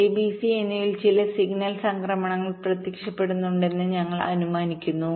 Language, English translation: Malayalam, we assume that there are some signal transitions appearing at a, b and c